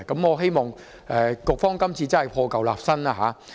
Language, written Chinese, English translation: Cantonese, 我希望局方今次真的可以破舊立新。, I hope the Bureau can genuinely discard the old to establish the new